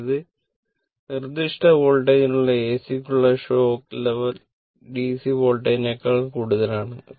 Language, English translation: Malayalam, That means that the shock level of AC for the same specified voltage is more than that of the DC voltage